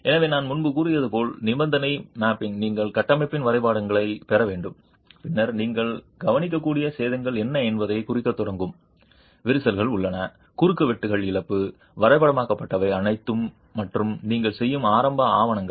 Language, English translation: Tamil, So, condition mapping as I said earlier would require that you get drawings of the structure and then start marking what are the damages that you might notice, are there cracks, are there loss of cross sections, all that is mapped and that is an initial documentation that you would do